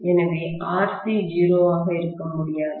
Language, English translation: Tamil, So, I cannot have RC to be 0 either